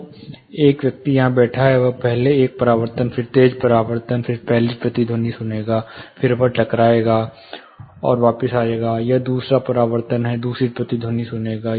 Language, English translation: Hindi, So, a person seated here, he will first hear one reflection sharp reflection, first echo, then it would go hit and come back, he will hear the second reflection, second echo